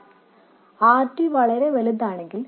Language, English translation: Malayalam, And this is especially so if RD is very large